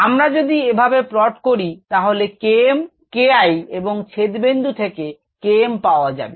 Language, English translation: Bengali, if we plotted that way, then we could get k m, k, k, k, i from here and k m from the intercept